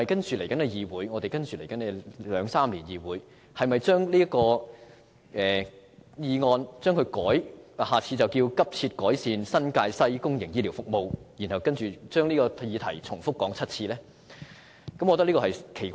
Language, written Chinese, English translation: Cantonese, 此外，在未來兩三年，議會是否要把此議案題目改為"急切改善新界西公營醫療服務"，然後重複討論這項議案7次呢？, Moreover in the next couple of years should we change the motion title to Urgently improving public healthcare services in New Territories West and then discuss the motion in the Council again and again for seven times?